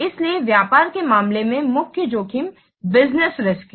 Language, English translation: Hindi, So in business case, the main focus is in business risk